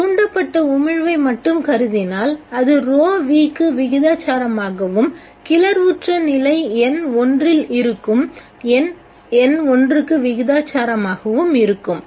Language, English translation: Tamil, If we consider only the stimulated emission, let us it is proportional to row v and proportional to the number n1 that is present in the excited state n1